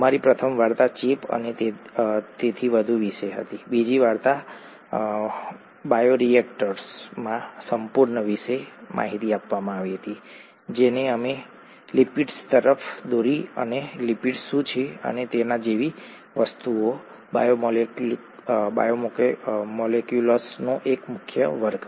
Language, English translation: Gujarati, Our first story was about infection and so on, the second story was about sheer in bioreactors which led us to lipids and what lipids are and things like that, one major class of biomolecules